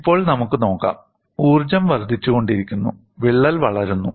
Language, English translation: Malayalam, Now, let us look, as the energy keeps on increasing, the crack is growing